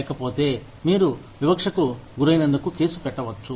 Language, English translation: Telugu, Otherwise, you could be sued, for being discriminatory